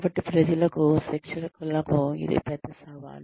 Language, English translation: Telugu, So, that is a big challenge for people, for the trainers